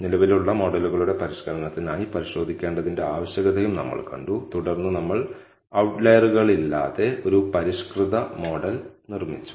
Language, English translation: Malayalam, We also saw the need for checking for refinement of existing models and then we built a refined model without any outliers